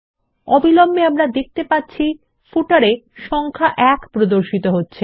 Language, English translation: Bengali, Immediately, we see that the number 1 is displayed in the footer